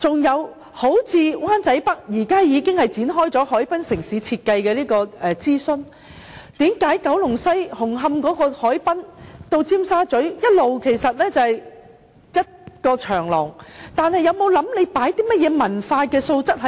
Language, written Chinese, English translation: Cantonese, 又例如灣仔北，現時已經展開海濱城市設計的諮詢，為何九龍西紅磡海濱至尖沙咀，一直只是一條長廊，政府有否考慮可加入甚麼文化元素呢？, Another example is Wan Chai North and the consultation on the urban design study for the harbourfront area has commenced . Why has there always been just a promenade from the waterfront of West Kowloon and Hung Hom to Tsim Sha Tsui? . Has the Government considered adding any cultural feature to it?